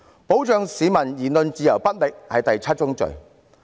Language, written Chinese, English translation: Cantonese, 保障市民言論自由不力，是第七宗罪。, Failing to protect the freedom of speech of the people is her seventh sin